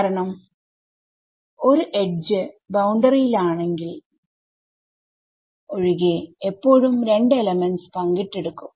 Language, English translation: Malayalam, Because an edge except if it is on the boundary will always be shared by 2 elements ok